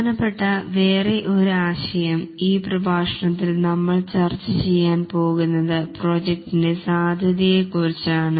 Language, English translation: Malayalam, The other important concept that we will discuss in this lecture is the project scope